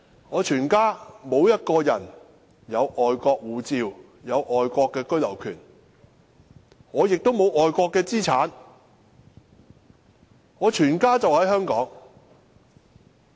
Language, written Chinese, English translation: Cantonese, 我全家沒有一個人持有外國護照，或擁有外國居留權，我也沒有外國資產，我全家人也在香港生活。, My family members do not hold any foreign passport or foreign right of abode . I do not hold any assets in other countries . My whole family is living in Hong Kong